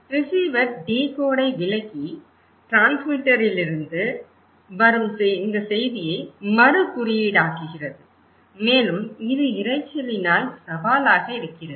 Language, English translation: Tamil, Now, he also has, the receiver also interpret decode and recode this message coming from the transmitter and it is also challenged by the question of noise